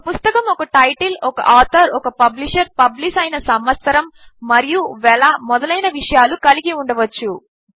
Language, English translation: Telugu, A book can have a title, an author, a publisher, year of publication and a price